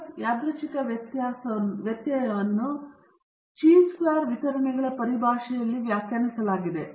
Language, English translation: Kannada, The F random variable is defined in terms of the chi square distributions